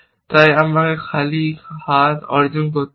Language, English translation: Bengali, So, I have to achieve arm empty